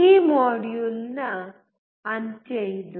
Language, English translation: Kannada, This is the end of this module